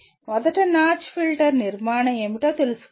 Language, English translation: Telugu, First of all one should know what is the notch filter structure